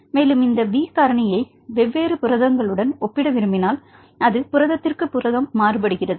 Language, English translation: Tamil, So, we have different numbers in a protein, and if we want to compare this B factor with different proteins, because it changes from protein to protein